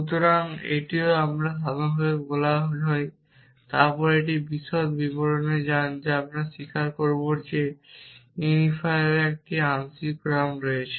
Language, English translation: Bengali, So, this is called more general then this go in to details we will accept that there is a partial order of unifiers